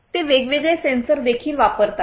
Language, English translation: Marathi, They also use different sensors